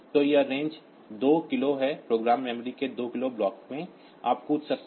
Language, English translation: Hindi, So, this range is 2 k, in 2 k block of program memory you can jump